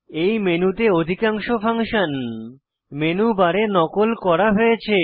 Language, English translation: Bengali, Most of the functions in this menu are duplicated in the menu bar